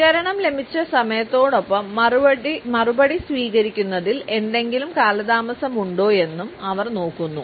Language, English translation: Malayalam, They look at the time, when the response was received as well as if there is any delay in receiving the reply